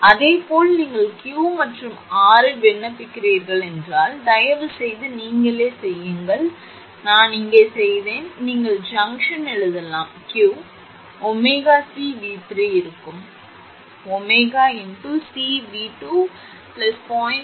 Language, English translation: Tamil, Similarly, if you apply at Q and R and so on, please do yourself I have done it here right then your you can write at junction Q omega C V 3 will be omega C V 2 plus 0